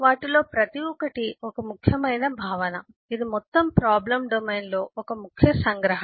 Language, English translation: Telugu, each one of them is a key concept, is a key abstraction in the whole problem domain